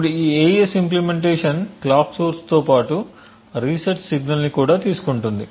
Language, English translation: Telugu, Now this AES implementation also takes as input a clock source as well as a reset signal